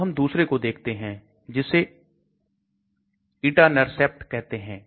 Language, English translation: Hindi, Let us look at another one it is called Etanercept